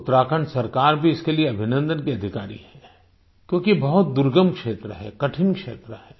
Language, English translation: Hindi, The government of Uttarakhand also rightfully deserves accolades since it's a remote area with difficult terrain